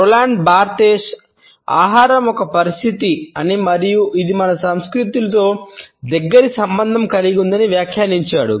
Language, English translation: Telugu, I would prefer to Roland Barthes who has commented that food is a situation and it is closely related with our culture